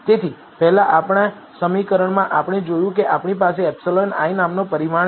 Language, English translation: Gujarati, So, in our equation earlier we saw we had a parameter called epsilon i